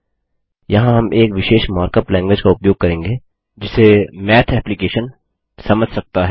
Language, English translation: Hindi, Here we will use a special mark up language that the Math application can understand